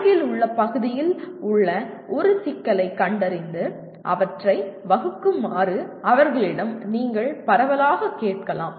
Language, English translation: Tamil, You can broadly ask them to identify a problem in nearby area and ask them to formulate